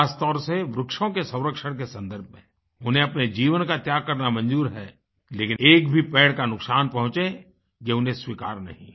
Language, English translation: Hindi, Specially, in the context of serving trees, they prefer laying down their lives but cannot tolerate any harm to a single tree